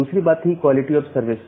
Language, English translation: Hindi, And another thing was the quality of service